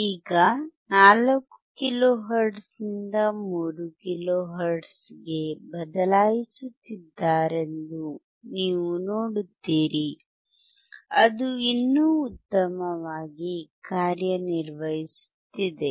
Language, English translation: Kannada, Now from 4 kilohertz, we are sending to 3 kilo hertz, you see they are changing the 3 kilo hertz still it is working well